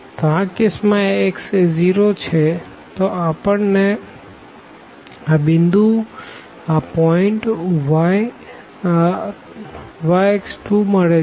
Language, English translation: Gujarati, So, in this case when x is 0 here we are getting the point y x 2